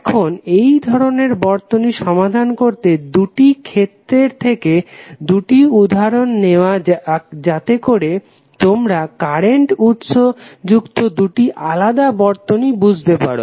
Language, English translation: Bengali, Now, to analyze these kind of two circuits let us take two examples rather let us take two cases first so that you can understand two different types of circuits containing the current sources